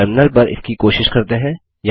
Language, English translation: Hindi, Lets try this on the terminal